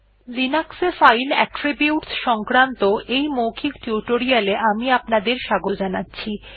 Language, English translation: Bengali, Welcome to this spoken tutorial on Linux File Attributes